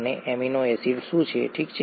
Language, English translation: Gujarati, And what is an amino acid, okay